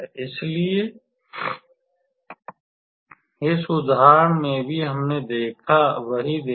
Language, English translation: Hindi, So, just in this example also we saw that